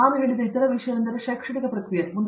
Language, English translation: Kannada, And, the other thing as I said is the academic process